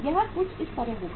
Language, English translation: Hindi, It will be something like this